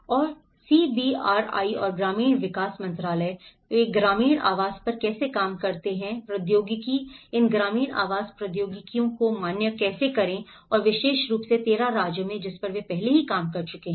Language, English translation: Hindi, And the CBRIs and the ministry of rural development, how they work on the rural housing technologies, how to validate these rural housing technologies and especially, in the 13 states, which they have already worked on